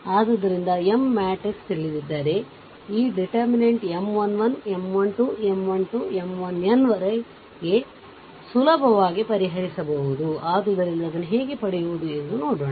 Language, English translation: Kannada, So, if you know the M matrix m, then ah determinant this M 1, the determinant that M 1 1, M 1 2, M 1 3 up to M 1 n, then easily easily can be solved, right